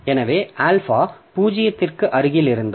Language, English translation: Tamil, So, alpha is between 0 and 1